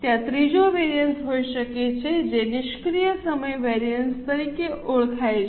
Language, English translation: Gujarati, There can be third variance that is known as idle time variance